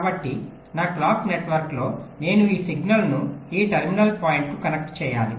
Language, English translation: Telugu, so in my clock network i have to connect this signal to each of these terminal points